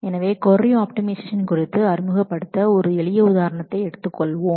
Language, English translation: Tamil, So, to introduce on the query optimization let us take a simple example